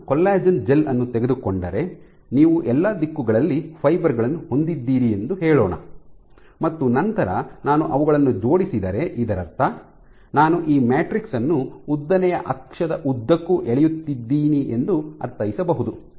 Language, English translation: Kannada, So, if I take a collagen gel let us say where you have fibers in all directions and I align them actually I pull this matrix along the long axis